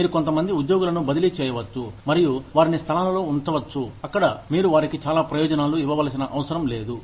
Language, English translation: Telugu, You could transfer some employees, and put them in places, where you do not have to give them, so many benefits